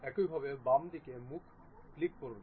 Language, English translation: Bengali, Similarly, click the left side face